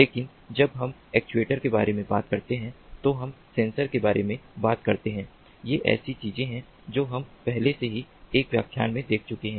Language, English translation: Hindi, but when we talk about sensors, when we talk about actuators, these are the things that we have already gone through in one of the previous lectures